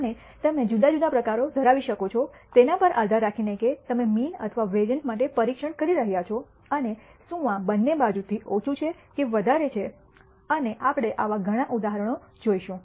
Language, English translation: Gujarati, And we can have different types depending on whether you are testing for the mean or the variance and whether this is less than or greater than or on both sided and we would see many such examples